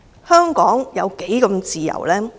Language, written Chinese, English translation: Cantonese, 香港有多麼自由？, How much freedom does Hong Kong have?